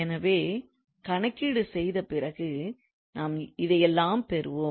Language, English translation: Tamil, So, whatever we get after calculation